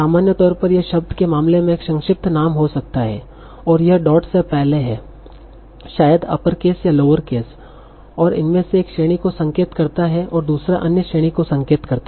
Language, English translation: Hindi, In general, it might be an abbreviation, the case of the word, and that is before the dot, maybe uppercase or lower case and one of these might indicate one class, other might indicate other class